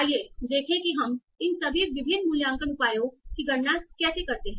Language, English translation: Hindi, So let us see how do we compute all these different evaluation measures